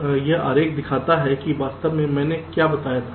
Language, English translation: Hindi, so this diagram shows that, exactly what i told in the first case